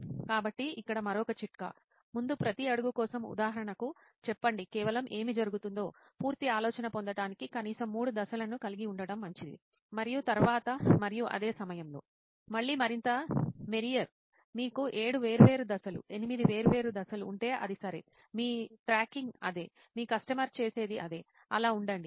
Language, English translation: Telugu, So another tip here; For each step before say for example it is good to have at least three steps in that just to get a full idea of what is going on; and same with after and same with during; again more the merrier, if you have seven different steps, eight different steps it is ok that is what your tracking, that is what your customer does, so be it